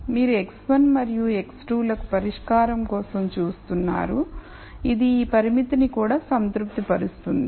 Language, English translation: Telugu, You are looking for a solution to x 1 and x 2 which also satis es this constraint that is what it means